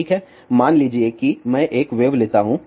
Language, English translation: Hindi, Well, suppose if I take a wave